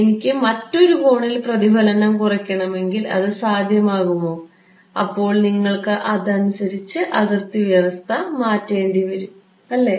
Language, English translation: Malayalam, If I wanted to minimize the reflection at some other angle is it possible, you have to change the boundary condition right